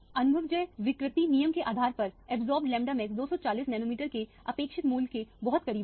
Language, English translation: Hindi, Based on the empirical editivity rule the absorbed lambda max is pretty close to the expected value of 240 nanometers